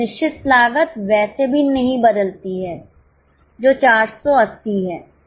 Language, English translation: Hindi, Fix cost anyway doesn't change which is 480